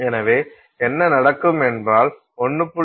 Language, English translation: Tamil, So, if you take a 1